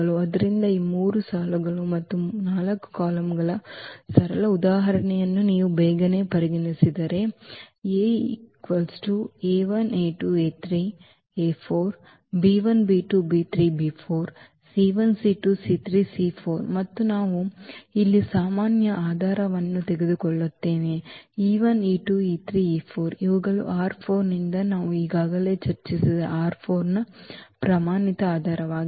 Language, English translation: Kannada, So, if you consider just quickly this simple example of this 3 rows and 4 columns and we take for instance the usual basis here e 1 e 2 e 3 e 4 from R 4 these are the standard basis of R 4 which we have already discussed before